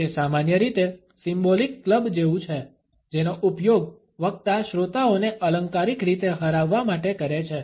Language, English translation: Gujarati, It is normally like a symbolic club, which the speaker is using to figuratively beat the listeners